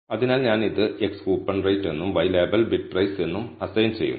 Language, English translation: Malayalam, So, I am assigning it as x “Coupon Rate" and y label I am assigning it as “Bid Price"